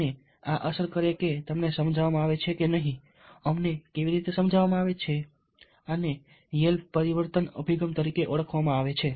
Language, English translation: Gujarati, all these affect if you are persuaded or not, how we are persuaded or not, and this is known as yale attitude change approach